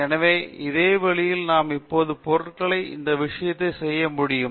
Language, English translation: Tamil, So, the same way we can now make this thing for materials